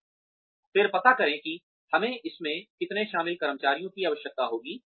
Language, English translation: Hindi, And, then find out, what we will need the employees involved in that to do